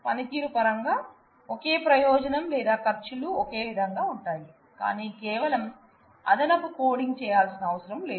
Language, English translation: Telugu, In terms of performance it has a same benefit or the costs as you say, but only thing is you will not need to do that extra coding